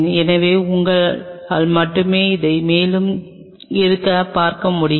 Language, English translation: Tamil, So, your only we can view it is from the top